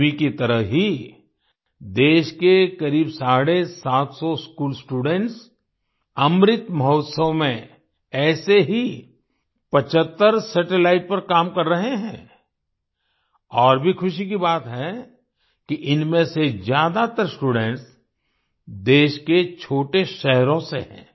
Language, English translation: Hindi, Like Tanvi, about seven hundred and fifty school students in the country are working on 75 such satellites in the Amrit Mahotsav, and it is also a matter of joy that, most of these students are from small towns of the country